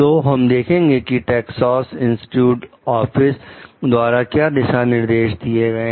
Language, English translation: Hindi, So, we will see by the guidelines given by Texas Instruments Office